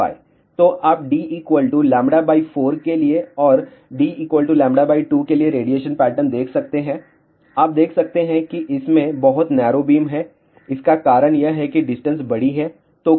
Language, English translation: Hindi, So, you can see the radiation pattern for d equal to lambda by 4 and for d equal to lambda by 2, you can see that this has a much narrower beam the reason for that is the distance is larger